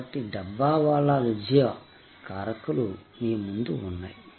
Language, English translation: Telugu, So, the Dabbawala success factors are in front of you